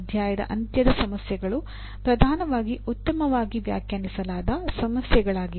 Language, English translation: Kannada, End of the chapter problems are dominantly well defined problems